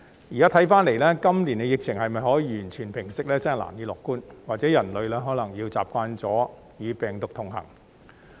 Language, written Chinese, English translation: Cantonese, 現在看來，今年疫情能否完全平息，真的難以樂觀，或許人類可能要習慣與病毒同行。, Now it seems that we can hardly be optimistic about whether the epidemic will be completely quelled this year and perhaps humans may have to get used to coexist with this virus